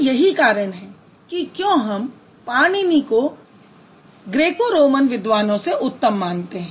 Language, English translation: Hindi, So that is how, that's the reason why we keep Panini at a superior position than the Greco Roman scholars